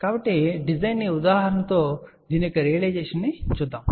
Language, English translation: Telugu, So, let us see the realization of this with the design example